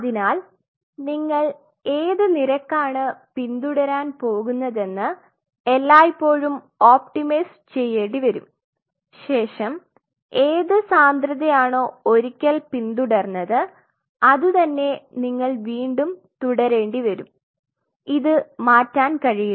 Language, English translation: Malayalam, So, you will always have to optimize what rate you are going to follow, but then having seen this, whatever density you follow once you have to keep on following that it cannot change it